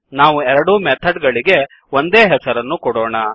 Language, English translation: Kannada, So what we do is give same name to both the methods